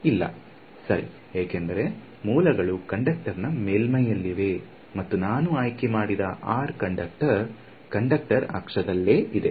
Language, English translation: Kannada, No, right because I have said the sources are on the surface of the conductor and the r that I have chosen is on the axis of the conductor right